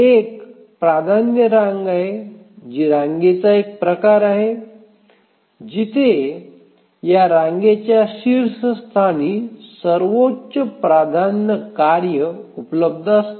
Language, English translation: Marathi, If you can recollect what is a priority queue, it is the one, it's a type of queue where the highest priority task is available at the top of the queue